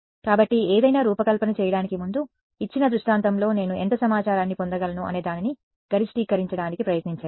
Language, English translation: Telugu, So, before designing something try to maximize how much information I can get in a given scenario